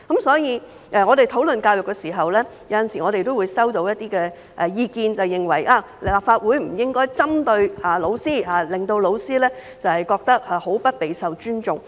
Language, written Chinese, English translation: Cantonese, 所以，我們討論教育時，有時候也會收到一些意見，認為立法會不應針對教師，令教師感到極不受尊重。, That said sometimes while discussing education we receive comments that this Council should not take aim at teachers making them feel extremely disrespected